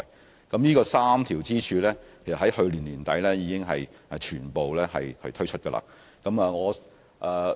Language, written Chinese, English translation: Cantonese, 事實上，這3條支柱已於去年年底全面推出。, As a matter of fact these three pillars were fully launched at the end of last year